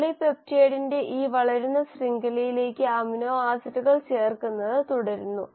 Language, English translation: Malayalam, And then the amino acids keep on getting added onto this growing chain of polypeptide